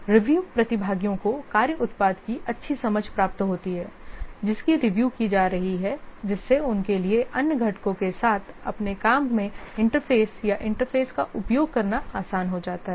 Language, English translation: Hindi, The review participants also gain a good understanding of the work product which is under review, making it easier for them to interface or use the work product in their work with other components